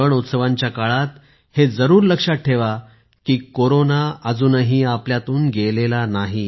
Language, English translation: Marathi, At the time of festivals and celebrations, you must remember that Corona has not yet gone from amongst us